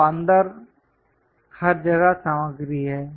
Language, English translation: Hindi, So, inside everywhere material is there